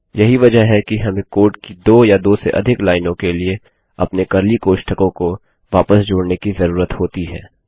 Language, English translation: Hindi, Which is why we need to add our curly brackets back in to cater for two or more lines of code